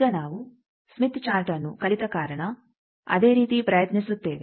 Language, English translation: Kannada, Now, the same thing we will attempt to because we have learnt Smith Chart